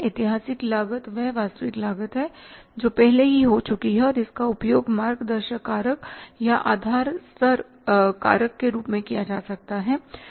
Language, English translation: Hindi, Historical cost is the one is the actual cost which has already happened and it can be used as the guiding factor or the base level factor